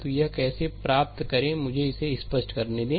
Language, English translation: Hindi, So, how to get it so, let me clear it